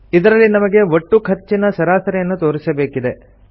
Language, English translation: Kannada, Here we want to display the average of the total cost